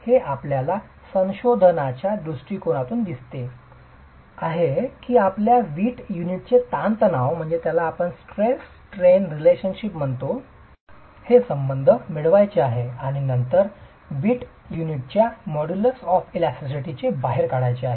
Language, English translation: Marathi, It is more from a research perspective that you would want to get the stress strain relationship of the brick unit and then pull out the modulus of elasticity of the brick unit